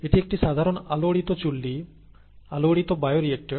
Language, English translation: Bengali, This is a, this is a typical stirred reactor, stirred bioreactor